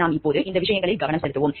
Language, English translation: Tamil, We will focus on those things now